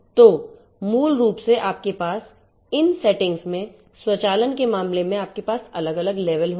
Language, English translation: Hindi, So, basically you will have in the case of automation in these settings you are going to have different levels right